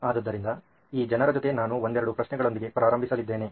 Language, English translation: Kannada, So over to these people I am going to start off with a couple of questions